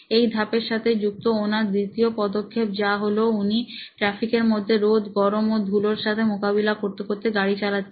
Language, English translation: Bengali, The second step during the phase is she rides in traffic exposed to sunlight, heat and dust